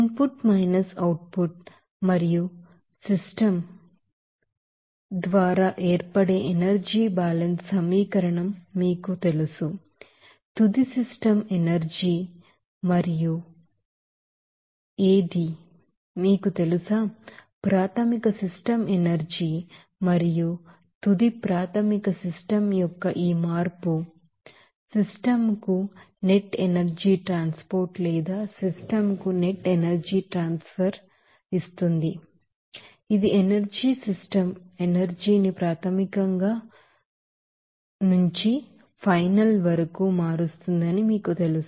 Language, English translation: Telugu, We know that energy balance equation that is accumulation that is caused through input minus output and particular system what is the you know, final system energy and what is the, you know, initial system energy and this change of our final initial system and it will give you that Net energy transport to the system or net energy transfer to the system will change this you know energy system energy from it is initial to final